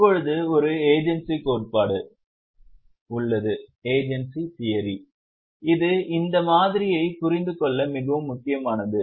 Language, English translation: Tamil, Now there is an agency theory which is very important for understand this model